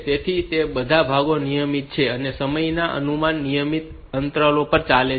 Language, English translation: Gujarati, So, they are going on at some regular intervals of time